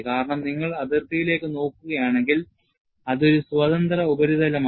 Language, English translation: Malayalam, Because, if you look at the boundary, it is a free surface